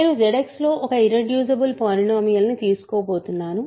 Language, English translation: Telugu, So, I am going to take an irreducible polynomial remember irreducible in Z X